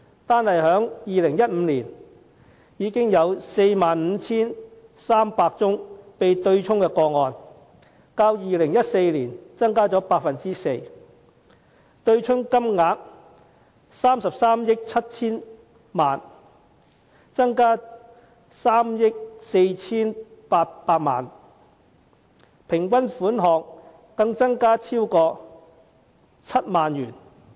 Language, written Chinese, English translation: Cantonese, 單在2015年便有 45,300 宗被對沖的個案，較2014年增加 4%； 對沖金額達33億 7,000 萬元，增加了3億 4,800 萬元；平均款項更增至超過7萬元。, In 2015 alone there were already 45 300 offset cases representing an increase of 4 % as compared with 2014; the offsetting amount reached 3.37 billion representing an increase of 348 million; the average offsetting amount has even increased to exceed 70,000